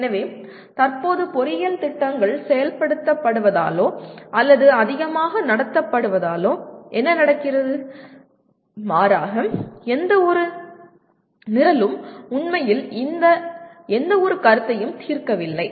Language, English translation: Tamil, So what happens the way currently engineering programs are implemented or conducted more by rather none of the programs really address any of these consideration